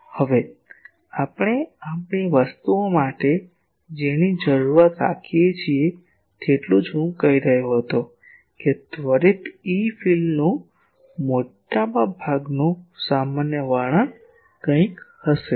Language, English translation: Gujarati, Now, what we require for our things is as I was saying that most general description of an instantaneous E field will be something